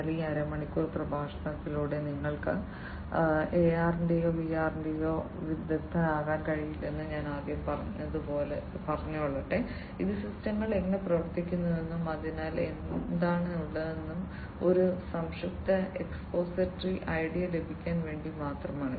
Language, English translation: Malayalam, But as I said at the outset that you know through this you know, half an hour lecture you cannot become an expert of AR or VR right this is just to get a brief expository idea about how the systems work and what is in there